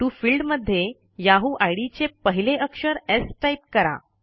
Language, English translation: Marathi, In the To field, type the first letter of the yahoo id, that is S